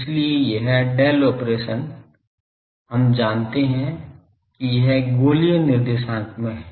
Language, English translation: Hindi, So, Del operation we know it is in spherical co ordinate